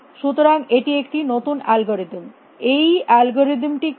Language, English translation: Bengali, So, this a new algorithm what is this algorithm